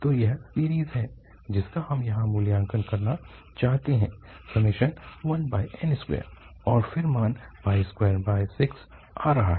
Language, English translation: Hindi, So this is the series, which we want to evaluate here one over n square and the value is coming pi square by 6